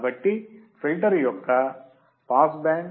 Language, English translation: Telugu, So, pass band of a filter